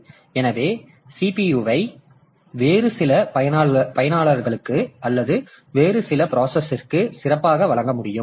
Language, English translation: Tamil, So, CPU can better be given to some other users or some other process